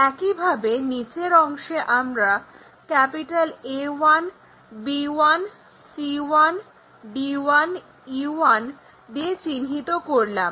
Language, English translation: Bengali, Similarly, at the bottom ones let us call A 1, B 1, C 1, D 1, and E 1